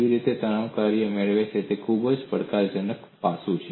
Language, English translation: Gujarati, How people get the stress function is a very challenging aspect